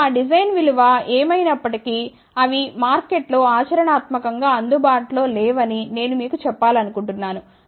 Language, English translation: Telugu, Now, I just want to tell you that whatever those design value comes out to be they are not practically available in the market ok